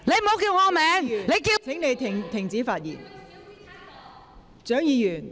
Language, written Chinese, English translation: Cantonese, 蔣議員，請你停止發言。, Dr CHIANG please stop speaking